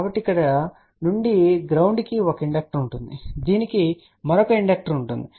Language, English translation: Telugu, So, from here to ground there will be 1 inductor this will have another inductor and all that